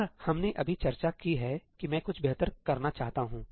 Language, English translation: Hindi, And we have just discussed that I want something better